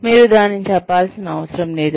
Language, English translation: Telugu, You do not have to declare it